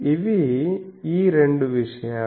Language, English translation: Telugu, So, these are the two things